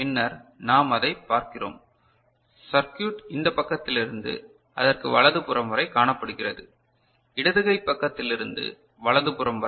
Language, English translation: Tamil, And then we see that the circuit is seen from this side to their right hand side; from the left hand side to the right hand side